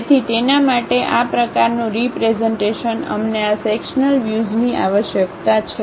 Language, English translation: Gujarati, So, such kind of representation for that we required these sectional views